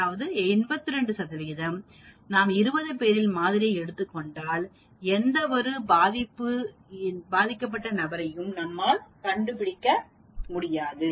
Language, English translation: Tamil, There is 82 percent chance that if I take 20 people, I will not even find 1 person with that disease